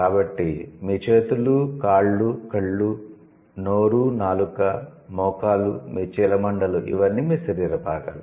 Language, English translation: Telugu, So, your hands, your legs, your eyes, your mouth, your tongue, your knee, your, let's say, ankles